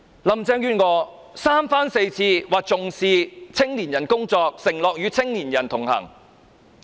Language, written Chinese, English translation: Cantonese, 林鄭月娥三番四次說重視青年人工作，承諾與青年人同行。, Carrie LAM has said time and again that she attached importance to the work concerning the youth and promised to connect with young people